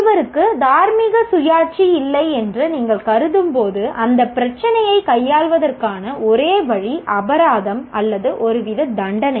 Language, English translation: Tamil, When you consider somebody doesn't have moral autonomy, the only way to handle that issue is by fines or some kind of punishment